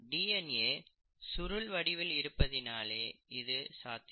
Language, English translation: Tamil, That is because the DNA is in a coiled form, okay